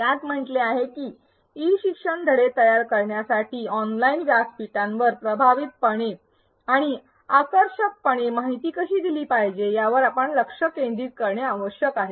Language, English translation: Marathi, It says that in order to create e learning modules, the main thing one needs to focus on is how to effectively and attractively put up information on an online platform